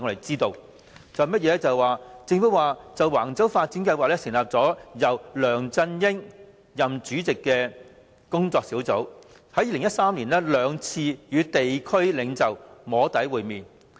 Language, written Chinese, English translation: Cantonese, 政府表示，就橫洲房屋發展計劃成立由梁振英出任主席的跨部門工作小組，於2013年曾兩度與地區領袖"摸底"會面。, According to the Government an interdepartmental task force on the Wang Chau Housing Development Plan chaired by LEUNG Chun - ying met with local leaders twice in 2013 for soft lobbying